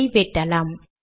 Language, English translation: Tamil, Lets cut this